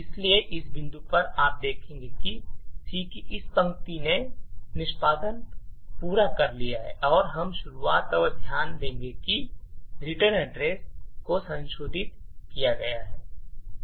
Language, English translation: Hindi, So, at this point you see that this line of C has completed executing and we would also look at the start and note that the return address has been modified